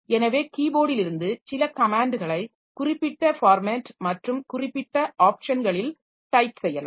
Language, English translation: Tamil, So, maybe from keyboard we type some some comments in a specific format with specific options